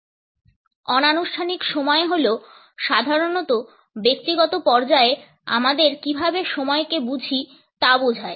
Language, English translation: Bengali, Informal time is normally our understanding of time at a personal level